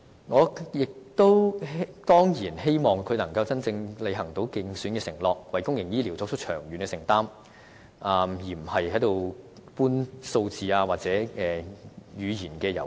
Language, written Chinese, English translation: Cantonese, 我亦當然希望她可以履行其競選承諾，為公營醫療作長遠承擔，而非只搬弄數字或玩語言遊戲。, Moreover I certainly wish that she will fulfil her election promise of making long - term commitment on public health care but not simply playing games of numbers or rhetoric